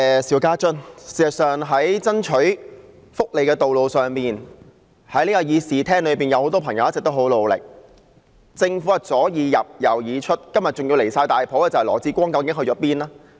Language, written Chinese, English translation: Cantonese, 事實上，在爭取福利的道路上，這議事廳裏有很多朋友一直很努力，但政府左耳入右耳出，今天更離譜的是，羅致光局長去了哪裏？, In fact many in this Chamber have been fighting hard for welfare all the way through . But the Government has just let our words go in one ear and out the other . There is one very point even more unacceptable today